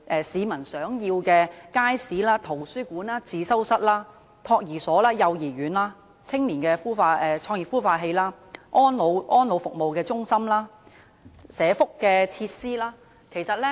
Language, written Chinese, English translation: Cantonese, 市民想要街市、圖書館、自修室、託兒所、幼兒園、青年創業孵化器、安老服務中心和福利設施。, The public wants markets libraries study rooms nurseries child care centres youth business incubators care and attention homes for the elderly and welfare facilities